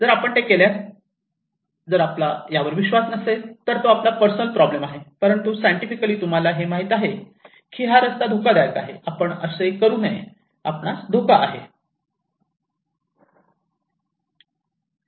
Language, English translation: Marathi, And if you do it, if you do not believe it, this is your personal problem but, scientifically we know that this road is danger, you should not do this so, you are at risk